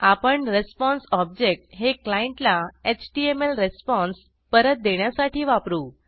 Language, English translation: Marathi, We will use the response object to send the HTML response back to the client side